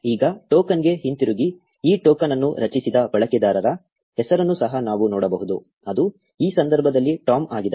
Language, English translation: Kannada, Now, getting back to the token, we can also see the name of the user who generated this token, which is Tom in this case